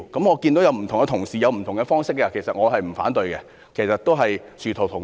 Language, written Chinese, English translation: Cantonese, 我知道其他同事提出了不同的方式，其實我不反對，因為殊途同歸。, I know that other colleagues have proposed different approaches and I will not oppose those approaches as they will achieve the same purpose